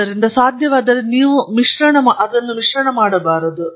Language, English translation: Kannada, So, you shouldn’t mix them if possible